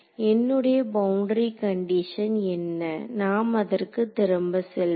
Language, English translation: Tamil, So, what is my boundary condition let us go back to it